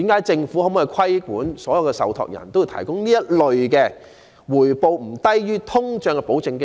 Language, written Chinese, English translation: Cantonese, 政府可否規管所有受託人均須提供這類回報不低於通脹的保證基金？, Can the Government stipulate that all MPF trustees must provide guaranteed funds of this kind which offer a rate of return not lower than inflation?